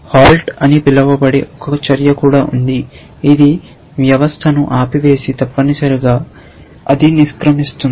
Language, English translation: Telugu, There is even a action called halt which says that stop the system essentially and exit essentially